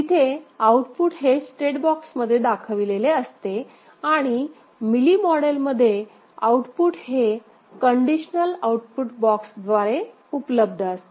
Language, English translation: Marathi, There the output is shown with in the state box and in Mealy model, output is available through conditional output box